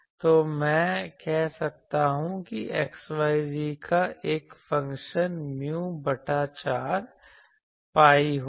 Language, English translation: Hindi, So then, I can say that a which is a function of xyz that will be mu by 4 pi